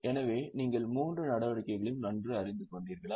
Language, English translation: Tamil, So are you getting all the three activities